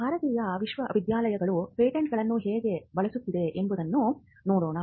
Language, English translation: Kannada, Let us look at how Indian universities have been using Patents